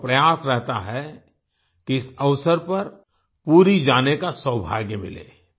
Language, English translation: Hindi, People make efforts to ensure that on this occasion they get the good fortune of going to Puri